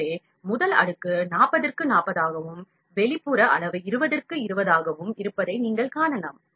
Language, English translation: Tamil, So, you can see the first layer is kept 40 and 40 and outer parameter is 20 and 20